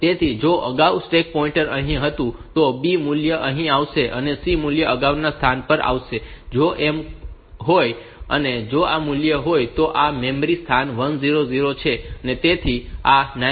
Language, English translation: Gujarati, So, if previously the stack pointer was a here, the B value will be coming here, and the C value will be coming to the previous location, if so, if these value is now this is memory location 1000